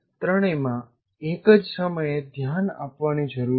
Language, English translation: Gujarati, All the three need to be addressed at the same time